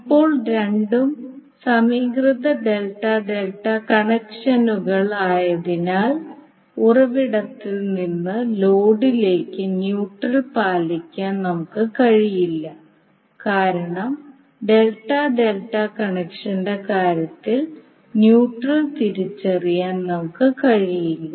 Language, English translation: Malayalam, Now since both are balanced delta delta connections we will not be able to put neutral from source to load because we cannot identify neutral in case of delta delta connection